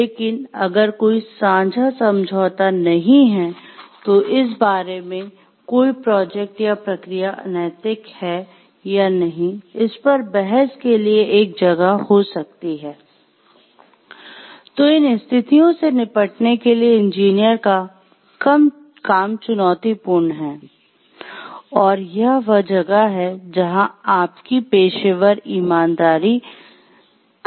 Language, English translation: Hindi, But, if there is no shared agreement and about whether a projector or procedure is unethical or not and there is a room for debate, then it is a challenging task for the engineer to tackle these situations, and it is where your professional integrity